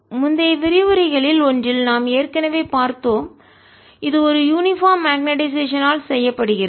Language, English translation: Tamil, we have already seen in one of the lectures earlier that this is done by a uniform magnetization